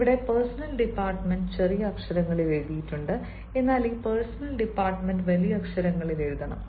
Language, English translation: Malayalam, here, you know, the personnel department is written in the small, but then this personnel department can should be written in capital